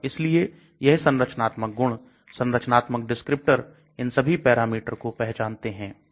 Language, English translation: Hindi, And so these structural features, structural descriptors, determine all these parameters